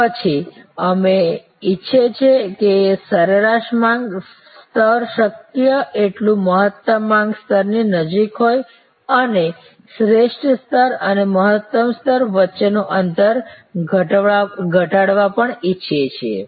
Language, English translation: Gujarati, Then we want that average demand level to be as close to the optimum demand level as possible and we also want to reduce the gap between the optimal level and the maximum level